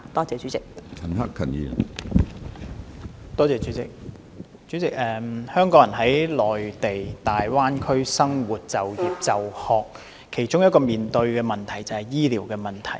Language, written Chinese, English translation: Cantonese, 主席，香港人在大灣區生活、就業、就學，其中一個需要面對的問題便是醫療。, President for Hong Kong people living working or studying in the Greater Bay Area one of their problems is how to deal with their medical needs